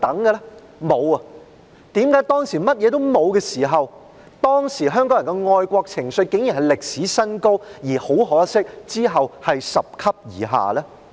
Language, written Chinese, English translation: Cantonese, 為何當時甚麼也沒有，香港人的愛國情緒竟然達歷史新高，而很可惜，其後卻是拾級而下呢？, Why is it that back then when none of these existed the patriotic sentiments of Hongkongers were the highest in history but had regrettably dropped gradually afterwards?